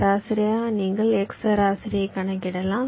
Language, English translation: Tamil, so, along the x direction, you calculate the x mean